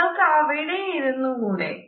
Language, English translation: Malayalam, Why do not you sit there